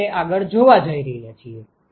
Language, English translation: Gujarati, We are going to see that next